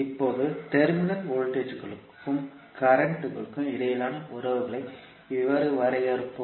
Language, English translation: Tamil, Now, how we will define the relationships between the terminal voltages and the current